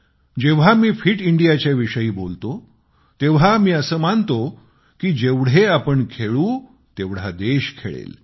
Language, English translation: Marathi, When I say 'Fit India', I believe that the more we play, the more we will inspire the country to come out & play